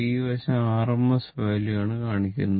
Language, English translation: Malayalam, It will measure this called rms value